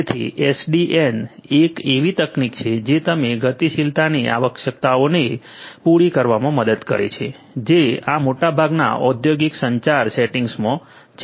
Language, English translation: Gujarati, So, SDN is one such technology which can help you to address the requirements of dynamism that are there in most of this industrial communication settings